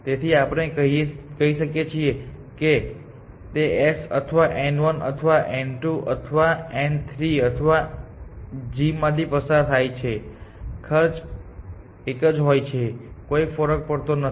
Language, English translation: Gujarati, So, whether we say it is passing through s or n 1 or n 2 or n 3 or g it does not matter the cost is in the same